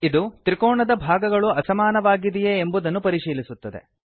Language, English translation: Kannada, It checks whether sides of triangle are unequal